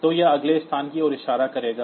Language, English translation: Hindi, So, it will be pointing to the next location